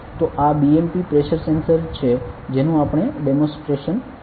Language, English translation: Gujarati, So, this is the BMP pressure sensor that we are going to demonstrate ok